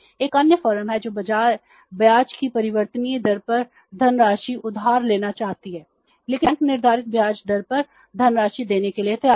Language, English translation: Hindi, There is another firm who want to borrow the funds at the variable rate of interest but the bank is ready to give to that firm the funds at the fixed rate of interest